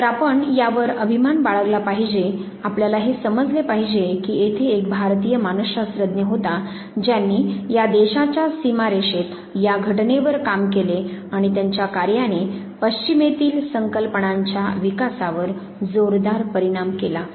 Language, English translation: Marathi, So, we should take a pride in this, we should understand that there was an Indian psychologist who worked on phenomena within this national boundary and this heavily influenced one of the concept developments in the west